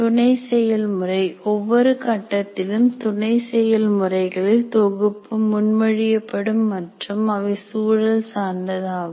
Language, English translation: Tamil, The sub processes, now what happens is we will be proposing a set of sub processes in each phase and they are context dependent